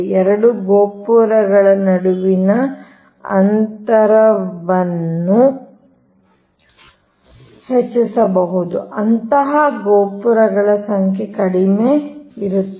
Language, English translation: Kannada, then the span between the two towers can be increased, such the number of towers will be less, right